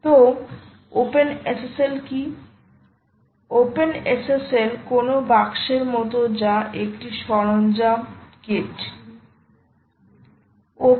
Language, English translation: Bengali, openssl is nothing like a box which has a tool kit